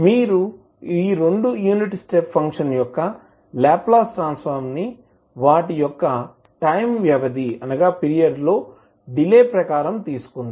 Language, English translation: Telugu, You can just take the Laplace transform of both of the unit step function delayed by their respective time period